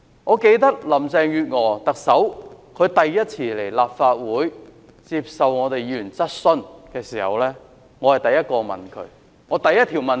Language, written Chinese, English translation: Cantonese, 我記得特首林鄭月娥首次來立法會接受議員質詢時，我是第一個問她的議員。, I remember when Chief Executive Carrie LAM came to the Legislative Council for her first Question Time I was the first Member to ask her a question